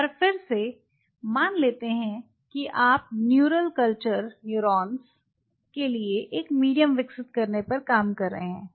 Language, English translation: Hindi, So, that means suppose you are working on developing a medium for neural culture neurons right